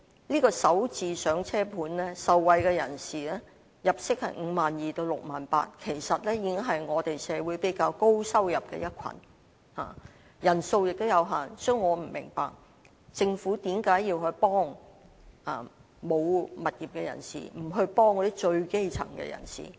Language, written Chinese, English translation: Cantonese, "港人首置上車盤"的受惠人士入息是 52,000 元至 68,000 元，其實已是社會上收入比較高的一群，人數也有限，所以我不明白政府為何要幫助沒有物業的人，而不幫助最基層的人。, Those who can benefit from Starter Homes make an income ranging from 52,000 to 68,000 . They are actually the group of people with a relatively high income in society and are limited in number . Therefore I do not understand why the Government has to help people without a property but not people in the lowest strata of society